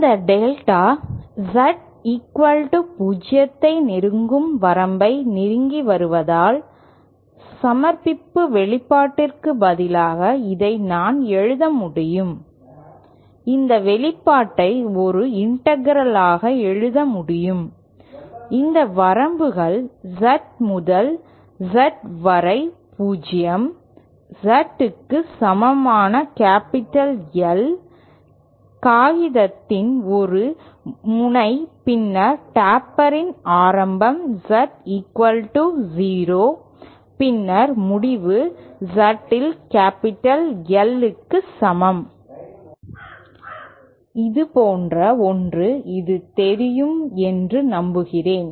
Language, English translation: Tamil, And since this delta Z is approaching in the limit that it is approaching 0 I can write this instead of submission expression, I can write this expression as an integral whose limits are from Z to Z equal to 0 Z equal to capital L capital L is one end of the paper then the beginning of the taper is Z equal to 0 then the end is at Z equal to Capital L